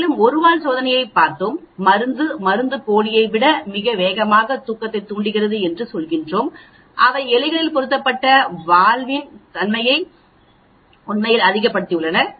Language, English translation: Tamil, And also, we looked at one tail test where we are saying that the drug induces sleep much faster than placebo, they were in the valve when they are implanted in rats is much more and so on actually